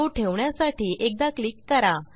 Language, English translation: Marathi, Click once to place it